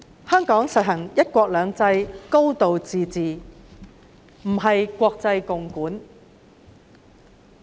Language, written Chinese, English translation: Cantonese, 香港實行"一國兩制"、"高度自治"，不是國際共管。, Hong Kong is governed under the principles of one country two systems and a high degree of autonomy; it is not governed by the international community